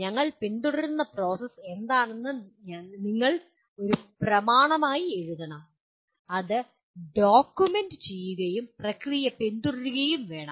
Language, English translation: Malayalam, You should write a document on what is the process that we are following and it should be documented and actually follow the process